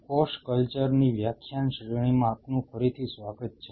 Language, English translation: Gujarati, Welcome back to the lecture series in a Cell Culture